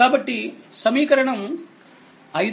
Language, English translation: Telugu, So, this is equation 5